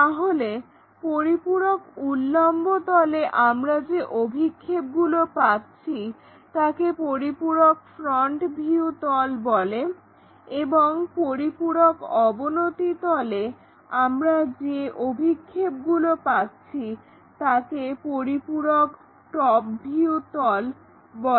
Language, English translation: Bengali, So, a auxiliary vertical plane, the projections what we are going to achieve are called auxiliary front views and for a auxiliary inclined plane the projections what we are going to get is auxiliary top views